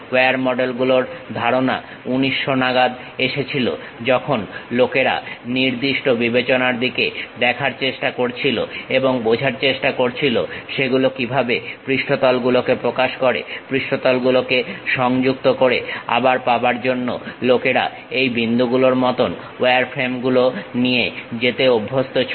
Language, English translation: Bengali, This concept of wire models came around 1900, when people try to look at finite discretization and try to understand that represent the surfaces, connect the surfaces; to recapture people used to go with these dots like wireframes